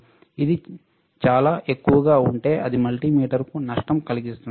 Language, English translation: Telugu, If it is too high, it will cause damage to the multimeter, you cannot go to that